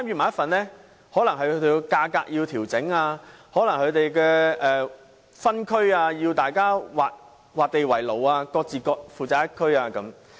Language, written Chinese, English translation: Cantonese, 可能他們要在價格上作出調整，也可能要劃分範圍，各自負責一區。, They may have made adjustments to the prices and divisions among themselves so that they could have control over their respective zones